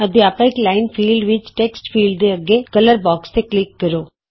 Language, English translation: Punjabi, In the Teachers line field, click on the color box next to the Text field